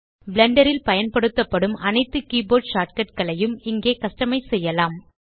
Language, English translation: Tamil, Here we can customize all the keyboard shortcuts used in Blender